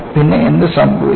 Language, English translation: Malayalam, And, what happens